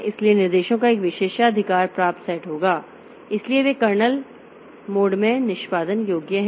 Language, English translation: Hindi, Some instructions designated as privileged instructions are executable only in the kernel mode